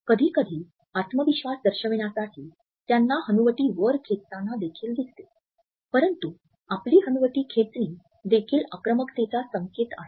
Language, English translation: Marathi, Sometimes, you will even see them pull their chin up to display confidence, but pulling your chin up is also a cue for aggression